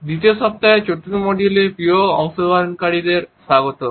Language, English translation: Bengali, Welcome dear participants to the fourth module of the second week